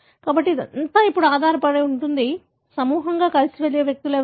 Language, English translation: Telugu, So, it all depends now, who are the individuals that go together as a group